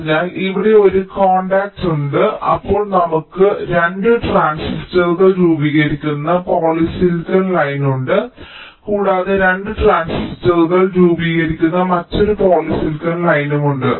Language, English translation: Malayalam, then we have the polysilicon line forming the two transistors and there is another polysilicon line forming the two transistors